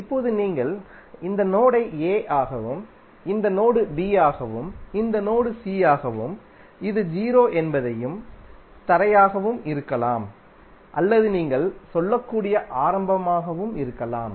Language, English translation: Tamil, Now if you give this node as a this node as b this node as c and this is o that is the ground or may be origin you can say